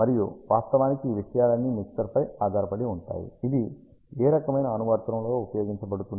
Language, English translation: Telugu, And all these things actually depend on the mixer is going to be used in what kind of application